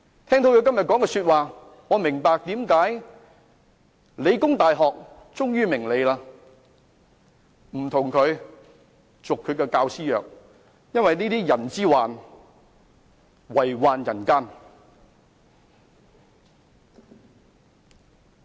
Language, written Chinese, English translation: Cantonese, 聽到他今天所說的話，我明白為何理工大學終於不與他續教師合約，因為這會遺害人間。, Having heard what he say today I understand why The Hong Kong Polytechnic University refused to renew the teaching contract with him because he will do harm to the next generation